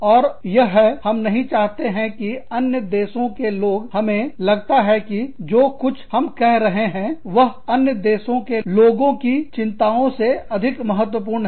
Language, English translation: Hindi, And that is, that we do not want people, in another, we feel that, whatever we are saying, is more important than, the concerns of people, in another country